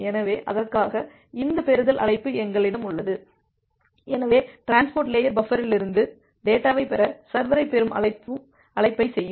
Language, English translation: Tamil, So, for that we have this receive call, so the server will make a receive call to receive the data from the transport layer buffer